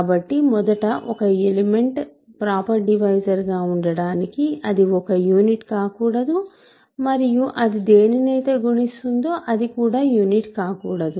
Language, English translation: Telugu, So, this is in so, in order to be a proper divisor first of all it cannot be a unit and it that what it multiplies to cannot also be a unit